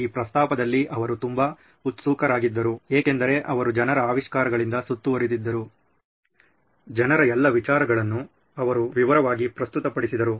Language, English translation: Kannada, He was very excited at this proposition because he was surrounded by people’s inventions, people's greatest ideas presented in all its detail